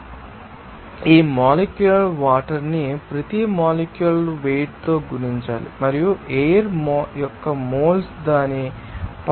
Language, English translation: Telugu, So, in that case, you have to know multiply this moles of water by each molecular weight and also moles of air by its molecular weight